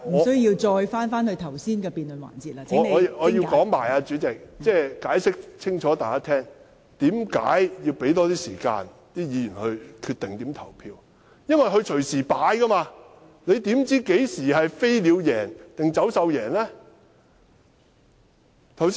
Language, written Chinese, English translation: Cantonese, 代理主席，我要向大家解釋清楚，為何要讓議員有更多時間決定怎樣投票，因為他們隨時改變，你怎知道何時是飛鳥勝出？, Deputy President I am trying to explain to the public why Members need more time to decide how to vote because they are prone to change